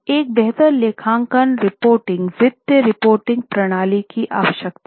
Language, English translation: Hindi, Need for a better accounting report financial reporting system